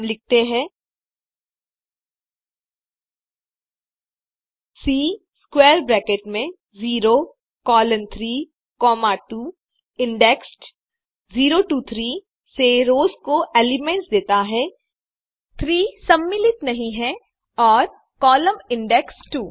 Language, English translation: Hindi, We say, C within square bracket 0 colon 3 comma 2 gives, the elements of rows indexed from 0 to 3, 3 not included and column indexed 2